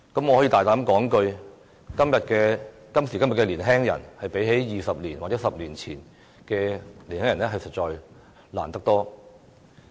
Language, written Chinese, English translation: Cantonese, 我膽敢說，今時今日的年輕人較20或10年前的年輕人所面對的困難多得多。, I dare say that the young people nowadays have to face far more difficulties than their counterparts 20 or 10 years ago